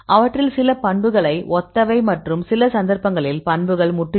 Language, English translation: Tamil, Some of them you can see the properties are similar and some cases properties are totally different